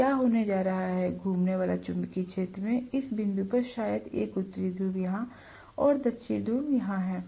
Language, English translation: Hindi, So what is going to happen is the revolving magnetic field probably has a North Pole here and South Pole here at this point